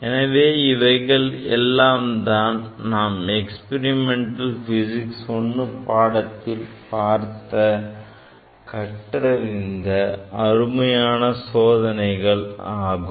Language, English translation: Tamil, So, these are the nice demonstration of the experiment in the laboratory and that we have seen in the experimental physics I course